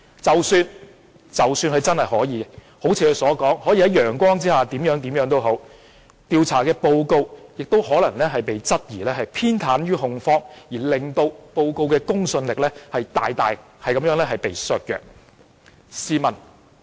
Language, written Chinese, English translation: Cantonese, 即使他真的如他所言，可以在陽光下怎樣怎樣，調查報告亦可能被質疑偏袒控方而令報告的公信力大大削弱。, Even if he can do so and so under the sun as he claimed there may be doubts on whether the inquiry may be partial to the prosecutors thereby seriously undermining its credibility